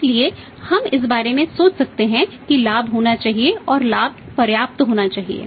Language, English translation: Hindi, So, we can think about that profit should be there and profit should be substantial